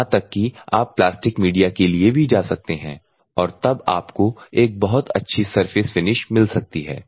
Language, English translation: Hindi, You can go then even you can go for plastic type of media then you can get very good surface finishes